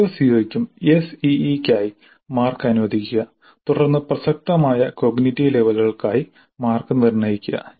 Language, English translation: Malayalam, For each CO, allocate marks for ACE, then determine the marks for relevant cognitive levels